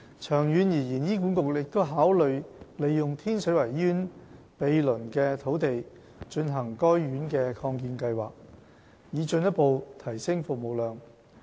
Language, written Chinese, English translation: Cantonese, 長遠而言，醫管局亦考慮利用天水圍醫院毗鄰的土地進行該院的擴建計劃，以進一步提升服務量。, In the long run HA will consider making use of the adjoining site of Tin Shui Wai Hospital for future expansion of the hospital to further increase service capacity